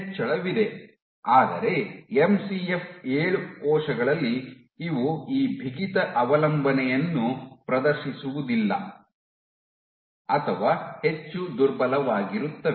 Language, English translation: Kannada, There is an increase, but in MCF 7 cells these guys do not exhibit this stiffness dependence or much weak